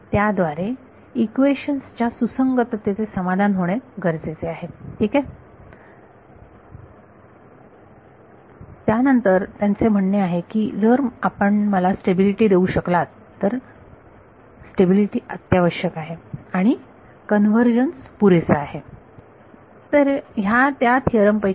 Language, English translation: Marathi, It also should satisfy the consistency equations, that is fine then its saying that if you can give me stability, stability is necessary and sufficient for convergence ok